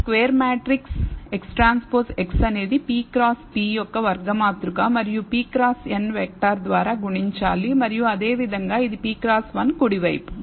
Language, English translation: Telugu, So, this is square matrix X transpose X is a square matrix of size p cross p and multiplied by the p cross n vector and similarly it is p cross 1 on the right hand side